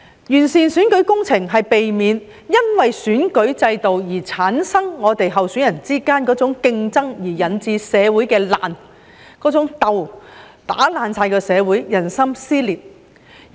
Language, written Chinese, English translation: Cantonese, 完善選舉制度是為了避免選舉制度在候選人之間產生的某種競爭於社會上引致的爛和鬥，"打爛"社會、撕裂人心。, The purpose of improving the electoral system is to avoid a certain kind of competition among candidates which may lead to rifts and conflicts in society causing social dissension and divisions in the community